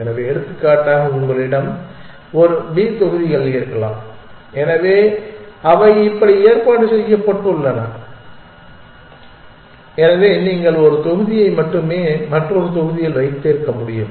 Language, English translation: Tamil, So, for example, you may have a b set of blocks which are arranged like this, so you can keep only one block on another block, so here we have free blocks and filled up one top of the other